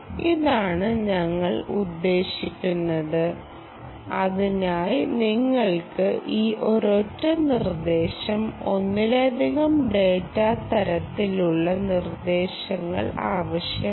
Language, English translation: Malayalam, this is what we mean and for that you need these single instruction, multiple data, ah kind of instructions